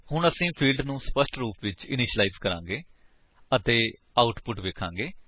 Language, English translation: Punjabi, Now, we will initialize the fields explicitly and see the output